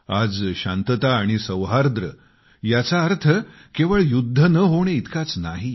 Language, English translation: Marathi, Today, peace does not only mean 'no war'